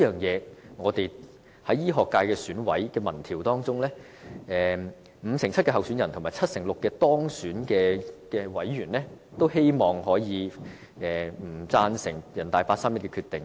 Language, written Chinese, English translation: Cantonese, 就此，醫學界選委的民調結果顯示，五成七候選人和七成六當選委員均反對人大八三一的決定。, In this respect the results of the survey on members of the Medical Subsector of the Election Committee indicate that 57 % of the candidates and 76 % of the successful candidates in the Subsector are against the 31 August Decision